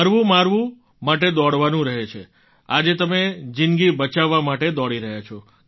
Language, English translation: Gujarati, One has to run in warfare; today you are running to save lives